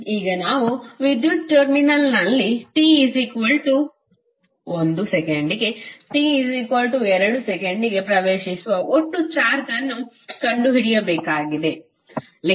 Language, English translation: Kannada, And now to find out the total charge entering in an electrical terminal between time t=1 second to t=2 second